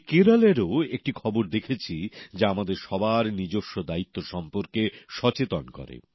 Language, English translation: Bengali, I have seen another news from Kerala that makes us realise our responsibilities